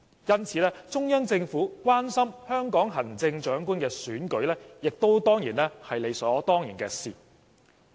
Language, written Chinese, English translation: Cantonese, 因此，中央政府關心香港行政長官選舉是理所當然的事。, Thus it is just natural for the Central Peoples Government to be concerned about the Chief Executive Election